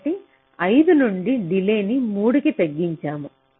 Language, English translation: Telugu, so from five we have reduced the delay to three